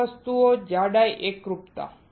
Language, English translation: Gujarati, 3 things thickness uniformity